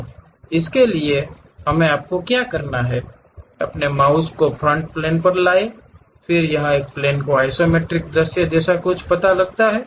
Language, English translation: Hindi, So, for that what we have to do you, move your mouse onto Front Plane, then it detects something like a Isometric view of a plane